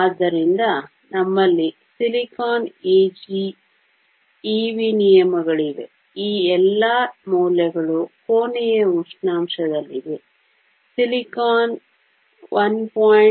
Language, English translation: Kannada, So, we have silicon e g terms of e v all these values are at room temperature silicon has a value of 1